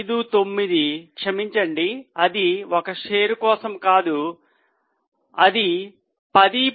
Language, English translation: Telugu, Sorry, it is not for one share, it is 10